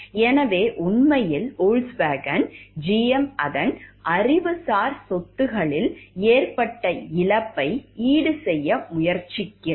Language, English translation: Tamil, So, actually Volkswagen is trying to compensate for the loss that GM had in its intellectual property